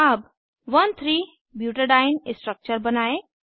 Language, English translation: Hindi, Let us draw 1,3 butadiene structure